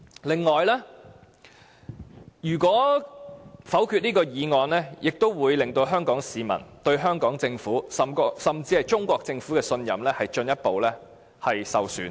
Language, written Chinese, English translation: Cantonese, 另外，如果否決這項議案，也會令香港市民對香港政府甚至中國政府的信任進一步受損。, Another consequence will be that if the motion is negatived further harm will be done to the confidence of citizens in the Hong Kong Government and even the Chinese Government